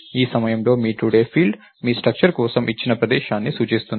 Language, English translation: Telugu, So, at this point your today field is pointing to the location that you gave for the structure